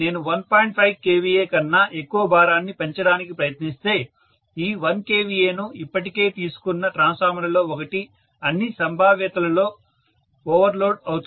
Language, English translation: Telugu, 5 kVA one of the transformers which has already taken this 1 kVA will be overloaded in all probability